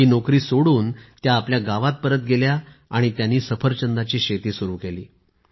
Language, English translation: Marathi, She returned to her village quitting this and started farming apple